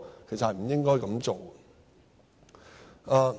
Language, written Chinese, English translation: Cantonese, 其實是不應該這樣做的。, This is what HKPF should not have done